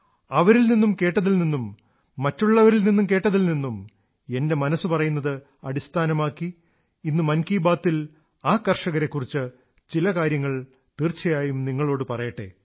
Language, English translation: Malayalam, What I have heard from them and whatever I have heard from others, I feel that today in Mann Ki Baat, I must tell you some things about those farmers